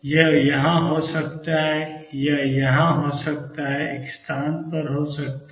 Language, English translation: Hindi, It may be here, it may be here, at one position